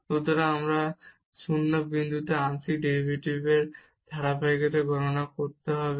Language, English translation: Bengali, So, we need to compute the continuity of the partial derivative at non 0 point